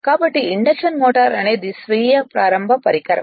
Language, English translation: Telugu, The induction motor is therefore, a self starting device right